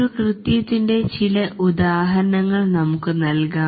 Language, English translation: Malayalam, Let's give some examples of a task